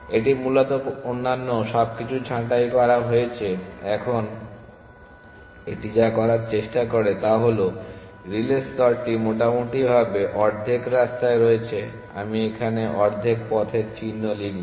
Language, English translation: Bengali, It is pruned everything else essentially now what it tries to do is that the relay layer is roughly at the half way mark I will just write half way mark here